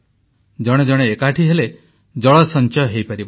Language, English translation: Odia, When people will join hands, water will be conserved